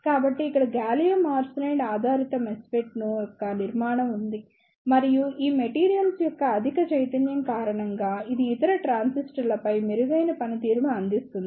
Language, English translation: Telugu, So, here is the structure of gallium arsenide base MESFET and it provides better performance over other transistor due to the higher mobility of these materials